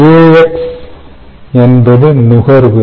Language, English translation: Tamil, this is consumption